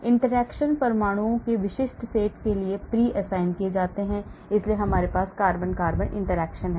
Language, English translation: Hindi, interactions are pre assigned to specific set of atoms , so we have carbon carbon interaction